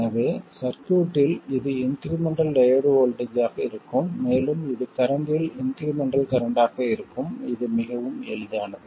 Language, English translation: Tamil, So this will be the incremental diode voltage and this will be the incremental current in the circuit